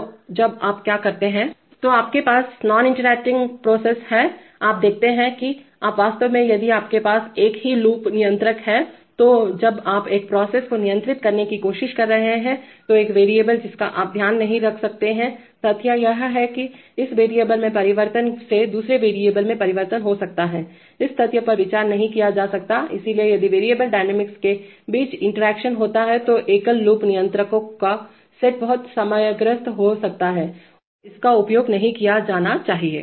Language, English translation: Hindi, So when do you do what, So you have, you have non interacting processes, you see that, you are actually, when you are, if you have a single loop controller then when you are trying to control one process, one variable you are not you cannot take care of the fact that a, that a change in this variable can cause a change in another variable, this fact cannot be considered, so if there is interaction between the variable dynamics then set of single loop controllers can be very problematic and should not be used